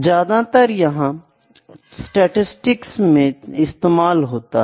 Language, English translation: Hindi, Generally, this can be used in statistics